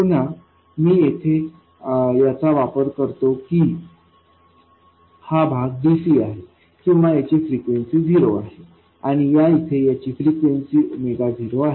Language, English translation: Marathi, Again I make use of the fact that this part here is DC or zero frequency and this part here is a frequency of omega 0